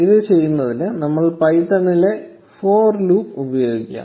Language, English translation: Malayalam, We will use the for loop in python for doing this